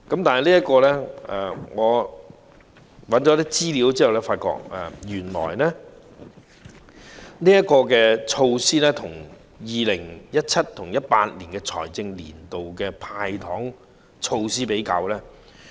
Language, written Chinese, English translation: Cantonese, 不過，我搜尋了一些資料後，將這項措施與 2017-2018 財政年度的"派糖"措施作出比較。, Anyway I have done some research and compared this measure with the initiative of handing out candies for the financial year 2017 - 2018